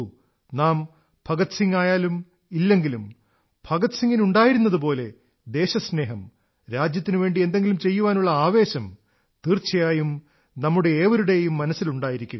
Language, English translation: Malayalam, Well see ; We may or may not be able to become like Bhagat Singh, but the love Bhagat Singh had for his country, the drive and motivation he had to do something for his country certainly resides in all our hearts